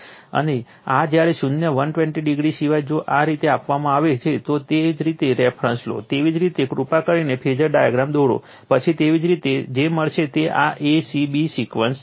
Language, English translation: Gujarati, This is whenever apart from zero 120 if it is given like this, you take a reference you take a reference, after that you please draw the phasor diagram, then you will get it this is a c b sequence